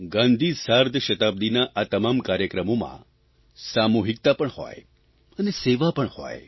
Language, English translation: Gujarati, In all the programmes of Gandhi 150, let there be a sense of collectiveness, let there be a spirit of service